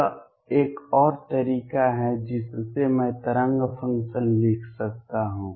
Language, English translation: Hindi, This is another way I can write the wave function